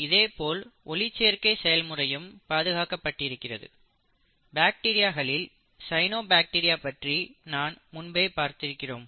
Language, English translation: Tamil, Even the machinery for photosynthesis, in bacteria we spoke about the cyanobacteria, right